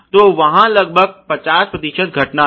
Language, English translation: Hindi, So, there is about 50 percent occurrence